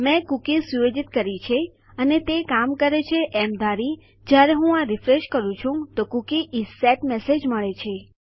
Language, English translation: Gujarati, Assuming that I have set my cookie and everything is working, when I refresh this Ill get the message that the Cookie is set